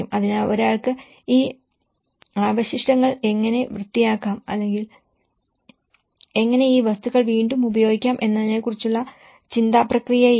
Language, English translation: Malayalam, So, there is no thought process of how one can even clean up this debris or how we can reuse these materials